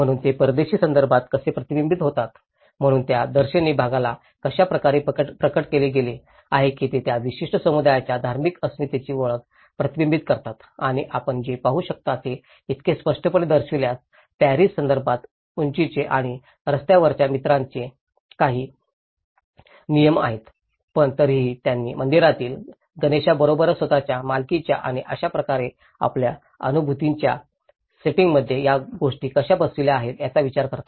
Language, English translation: Marathi, But how they are reflected back in a foreign context, so the facades have been manifested in such a way, that they reflect the identity of the religious identity of that particular community and what you can see is so by looking it the facade so obviously, there are certain control regulations of heights and the street friends in the Paris context but then still considering those how they have tried to fit with this with a setting of their own sense of belonging and similarly, with the temple Ganesh